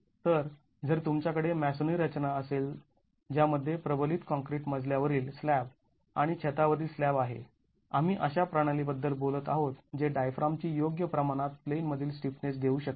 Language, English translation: Marathi, So, if you have a masonry structure which has reinforced concrete floor slab and roof slab, we are talking of a system that can offer adequate in plane stiffness of the diaphragm